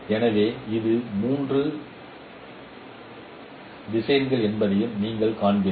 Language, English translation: Tamil, So consider a three vectorial form representation